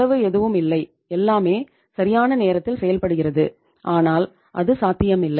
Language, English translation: Tamil, No cost nothing and everything is say just in time but itís not possible